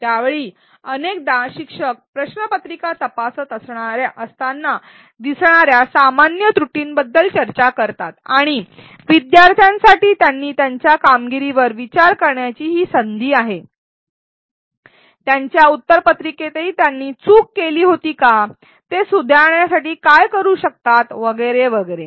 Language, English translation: Marathi, At that point often a teacher does a discussion of the common errors that were seen when she or he was grading the papers and this is an opportunity for the students to reflect on what they did their performance, whether they have also had that error in their answer paper, what they can do to improve and so on